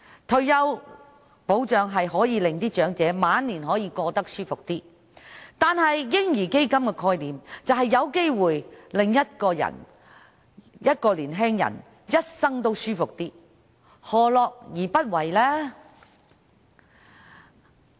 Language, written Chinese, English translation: Cantonese, 退休保障讓長者的晚年過得舒服一些，而"嬰兒基金"的概念則有機會讓年青人的一生過得舒服一些，何樂而不為呢？, Retirement protection aims to enable elderly people to live more comfortably in their twilight years . And the concept of a baby fund may enable young people to live more comfortably throughout their lifetime . Why should we reject the idea?